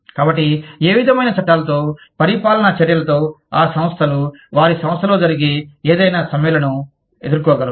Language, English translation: Telugu, So, what, with what kind of laws, govern the action, that organizations can take, to deal with any strikes, that may happen in their organization